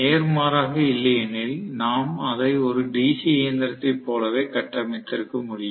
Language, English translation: Tamil, Otherwise we could have constructed it the same way as DC machine